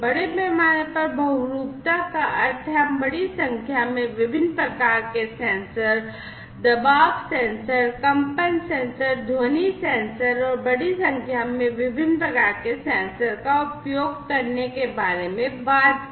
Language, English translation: Hindi, Massive polymorphism means, we are talking about the use of large number of different types of sensors, pressure sensors, vibration sensors, sound sensors, and large number of different types of sensors could be used